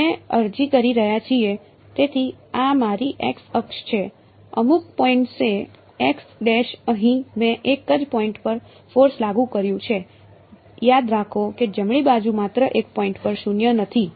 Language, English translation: Gujarati, We are applying, so this is my x axis, at some point x prime over here; I have applied a force is at a single point remember the right hand side is non zero at only one point right